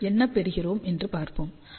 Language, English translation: Tamil, Let us see what do we get, we get R r as 0